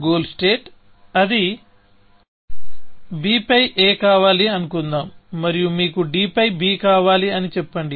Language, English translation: Telugu, The goal state is that; let us say is that you want a on b, and you want b on d, essentially